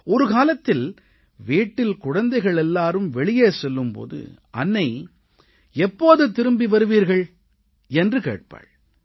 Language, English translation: Tamil, There was a time when the children in the family went out to play, the mother would first ask, "When will you come back home